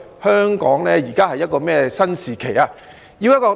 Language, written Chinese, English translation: Cantonese, 香港現時處於一個怎樣的新時期呢？, What kind of new era has Hong Kong entered into?